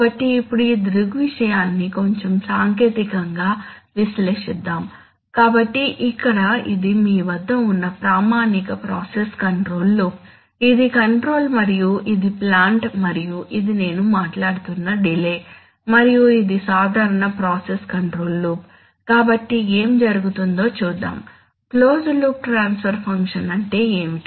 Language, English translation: Telugu, So now let us analyze this phenomenon little more technically, so here you have, this is the standard process control loop where you have, where you have, this is the controller and this is the plant and this is the delay that I am talking about and this is a normal process control loop okay, so what happened, let us look at, what is the closed loop transfer function, oh right, close this, then, so what is the closed loop transfer function